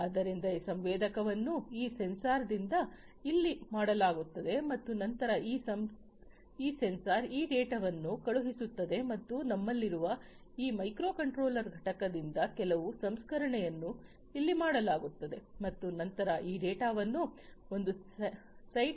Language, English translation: Kannada, So, this sensing is done over here by this sensor and in then this sensor sends this data and some processing is done over here by this microcontroller unit that we have and thereafter this data is sent from one site to another site